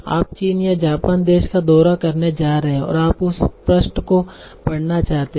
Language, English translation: Hindi, So like from China or Japan, suppose you are going to visit that country and you want to read that page